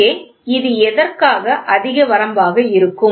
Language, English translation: Tamil, So, here it will be high limit for what